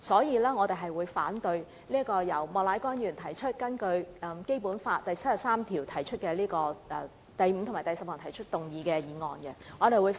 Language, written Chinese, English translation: Cantonese, 因此，我們反對由莫乃光議員根據《基本法》第七十三條第五項及第十項動議的議案。, For this reason we oppose the motion moved by Mr Charles Peter MOK pursuant to Article 735 and 10 of the Basic Law